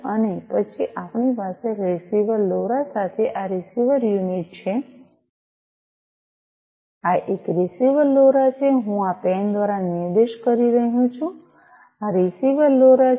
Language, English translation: Gujarati, And then we have this receiver unit with the receiver LoRa this one this is this receiver LoRa, I am pointing through this pen, this is this receiver LoRa